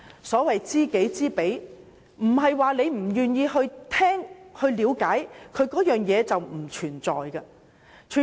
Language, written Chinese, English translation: Cantonese, 所謂"知己知彼"，即使不願意聆聽和了解，也不代表這些事情不存在。, Even if we are reluctant to listen to or learn about such things it does not mean that they do not exist